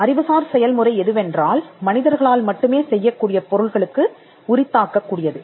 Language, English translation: Tamil, What is an intellectual process can be attributed to things that are done strictly by human beings